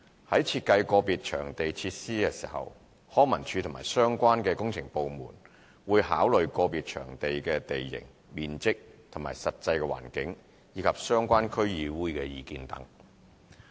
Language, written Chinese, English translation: Cantonese, 在設計個別場地設施時，康文署及相關工程部門會考慮個別場地的地形、面積和實際環境，以及相關區議會的意見等。, In designing facilities for individual venues LCSD and the relevant works departments will consider topographic features site area and circumstances and views of the District Councils concerned etc